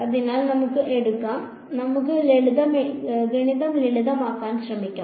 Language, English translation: Malayalam, So, let us take; let us just try to make the math simple ok